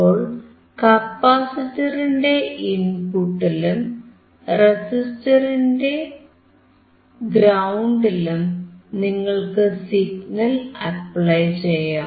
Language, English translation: Malayalam, So, you can apply signal at the input of the capacitor and ground of the resistor